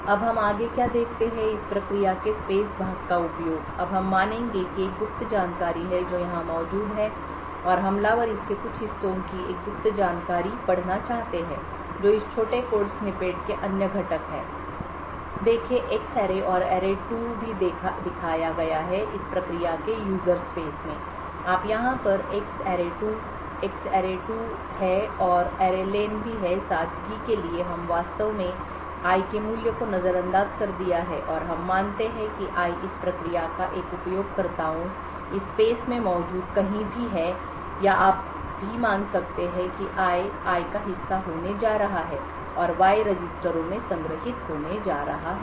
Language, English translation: Hindi, Now what we look at next is the use of space part of the process now we will assume that there is a secret information that is present here and the attackers wants to read some parts of this a secret data the other components of this small snippet of code see the X array and array2 are also shown in this user space part of the process do you have array over here X array2 and also array len for simplicity we have actually ignore the value of I and we assume that I is also present somewhere in this a users space part of the process or you can also assume that I is going to be part of that I and Y are just going to be stored in registers